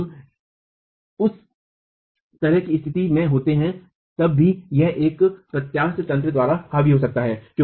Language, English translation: Hindi, When we are in that sort of a situation, it can still be dominated by a flexural mechanism